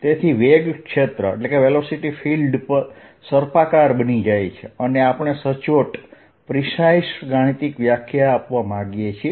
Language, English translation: Gujarati, so the velocity field becomes curly and we want to give a precise mathematical definition